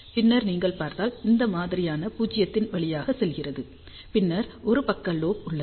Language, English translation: Tamil, And then if you see this pattern goes through the null, and then there is a side lobe